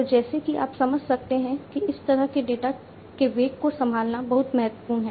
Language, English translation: Hindi, So, as you can understand that handling this kind of velocity of data is very important